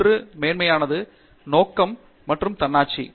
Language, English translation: Tamil, One is Mastery, Purpose and Autonomy